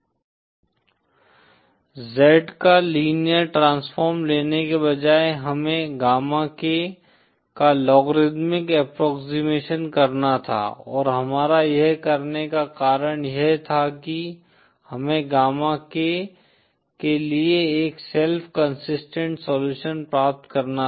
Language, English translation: Hindi, Instead of taking just the by linear transform of z we had to do a logarithmic approximation of the gamma k & the reason we had to do this is we had to obtain a self consistent solution for gamma k